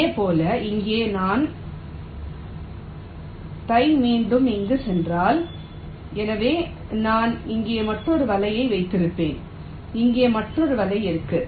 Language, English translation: Tamil, similarly, if here i have this going here again, so i will be having another net out here, there will be another net here